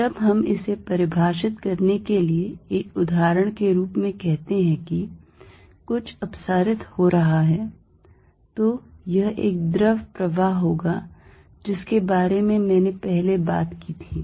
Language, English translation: Hindi, When we say something as diverging an example to define it would be a fluid flow which I talked about earlier